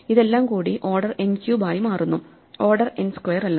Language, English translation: Malayalam, And so this whole thing becomes order n cubed and not order n square